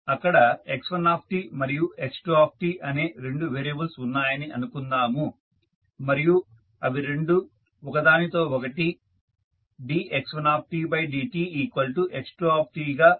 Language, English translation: Telugu, Let us see there are two variables x1 and x2 and this are related with each other as dx1 by dt is equal to x2